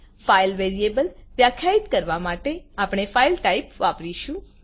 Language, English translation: Gujarati, To define a file variable we use the type FILE